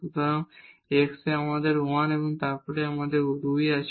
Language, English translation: Bengali, So, here in x we have 1 and then we have 2 there